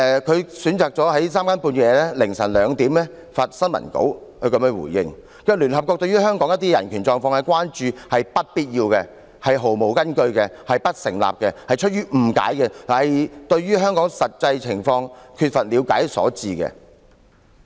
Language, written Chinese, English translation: Cantonese, 他選擇在三更半夜、凌晨2時發新聞稿，這樣回應："聯合國對於香港一些人權狀況的關注，是不必要、毫無根據、不成立的，是出於誤解和對香港真實情況缺乏了解所致。, He chose to issue a press release in the small hours at 2col00 am to say in response Recent concerns over some aspects of Hong Kongs human rights situation are unwarranted unfounded and unsubstantiated . They arise from misconception and a lack of understanding of our real situation